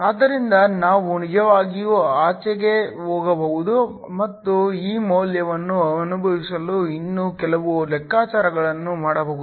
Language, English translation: Kannada, So, we can actually go beyond and do some more calculations just to get a feel of this value